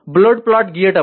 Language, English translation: Telugu, Drawing a Bode plot